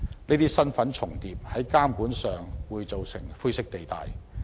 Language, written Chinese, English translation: Cantonese, 這些身份重疊的情況，在監管上便會造成灰色地帶。, Owing to the overlapping of these identities a gray area will be created when it comes to regulation